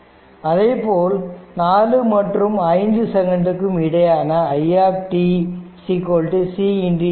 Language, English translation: Tamil, And similarly in between 4 and 5 second, i t is equal to c into dvt by dt